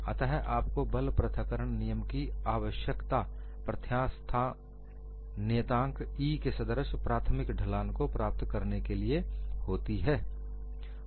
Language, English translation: Hindi, So you need to have the force separation law to have an initial slope that corresponds to the elastic modulus E